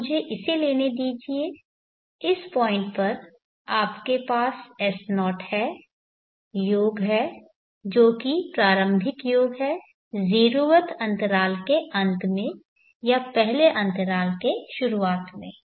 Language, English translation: Hindi, So let me take this at this point, you have s0, the sum the staring sum at the end of the 0th interval or the beginning of the 1st interval